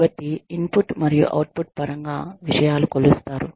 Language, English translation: Telugu, So, things are measured, in terms of input and output